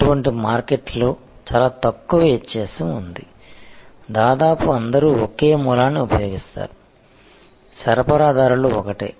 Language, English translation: Telugu, In such markets, there is a very little distinction almost everybody uses a same source, the suppliers are the same